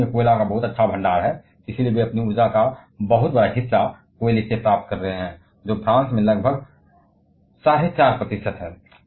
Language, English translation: Hindi, Germany has a very decent reserve of coal, and that is why they are getting much larger fraction of their energy from coal which is just about 4